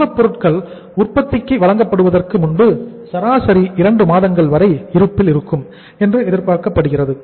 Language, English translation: Tamil, Raw materials are expected to remain in store for an average period of 2 months before these are issued for production